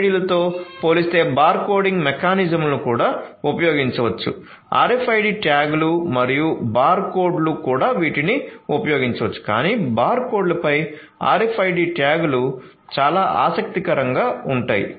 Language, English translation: Telugu, So, compared to RFIDs bar coding mechanisms could also be used both RFID tags and barcodes they could also be used but RFID tags over barcodes is something that is very interesting